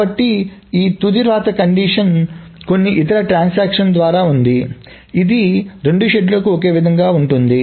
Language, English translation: Telugu, So this final right condition was by some other transaction which remained the same for both the studios